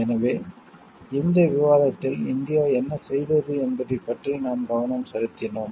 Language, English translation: Tamil, So, in this discussion, we have focused on like what India has done in